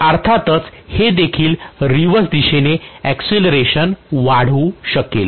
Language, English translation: Marathi, So obviously this will also start accelerating in the reverse direction